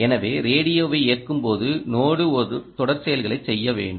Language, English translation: Tamil, when turning on the radio, the node must perform a sequence of operations